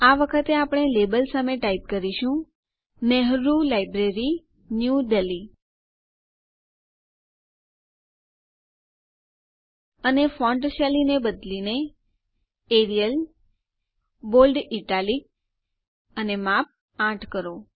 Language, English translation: Gujarati, ltpausegt This time, we will type, Nehru Library, New Delhi against the label.ltpausegt and change the font style to Arial, Bold Italic and Size 8